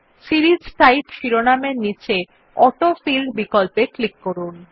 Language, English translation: Bengali, Now under the heading, Series type, click on the AutoFill option